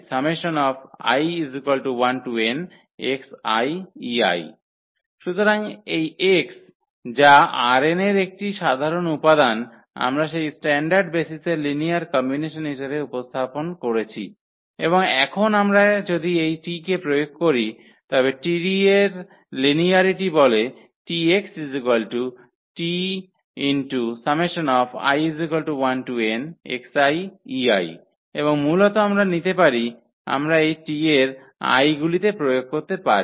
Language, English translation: Bengali, So, this x which is a general element in R n we have represented as a linear combination of that those standard basis and now if we apply this T, the linearity of T will implies that T x T of x will be the T of this here the summation and basically we can take we can apply on this T i’s